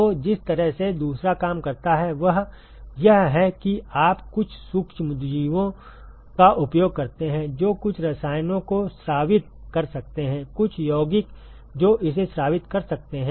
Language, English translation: Hindi, So, the way the second one works is you use some of the microorganisms which can secrete some chemicals, some compounds it can secrete